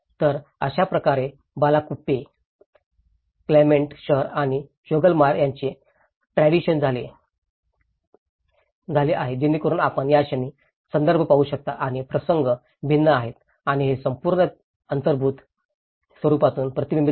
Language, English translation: Marathi, So, this is how there has been a transition of Bylakuppe, Clement town and Choglamsar, so what you can see in the moment the context is different and here, the whole it is reflected from its built form as well